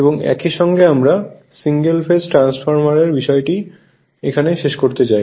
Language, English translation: Bengali, So, this is the thing, we will go for single phase transformer